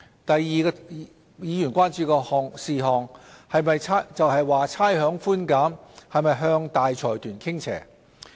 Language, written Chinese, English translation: Cantonese, 第二個議員關注事項，是差餉寬減是否向大財團傾斜。, The second matter of concern to Members is whether the rates concession tilts towards consortiums